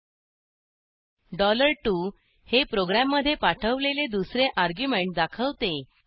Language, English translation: Marathi, $2 represents the second argument passed to the program